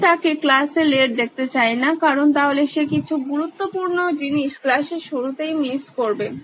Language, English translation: Bengali, I don’t want to see him late because he may be missing something important at the start of the class